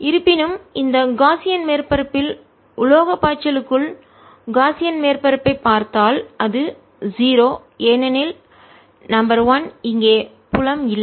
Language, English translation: Tamil, however, if i look at the gaussian surface inside, the metallic flux of this gaussian surface is zero because there is no field